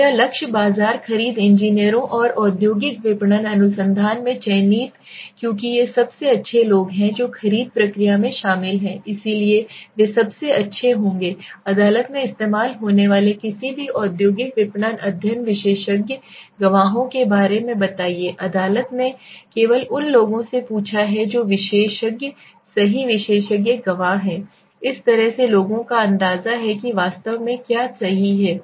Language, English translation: Hindi, So my target market purchase engineers selected in an industrial marketing research because these are the best people who are involved in the purchase process so they would be the best to tell us about any industrial marketing study expert witnesses used in court now anybody in a court asked only people who are experts right expert witnesses means this way are the people who have an idea what has actually happen right